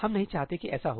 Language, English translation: Hindi, We do not want that to happen